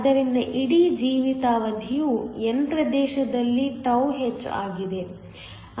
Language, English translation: Kannada, So, the life time of the whole τh in the n region